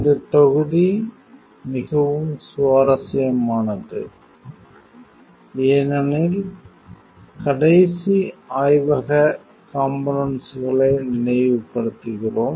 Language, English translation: Tamil, This module is really interesting; because if you recall the last lab component